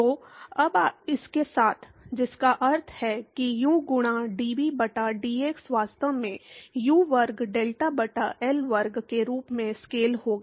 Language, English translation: Hindi, So, now with this, which means u into d v by d x would actually scale as U square delta by L square